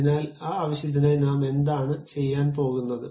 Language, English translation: Malayalam, So, for that purpose, what we are going to do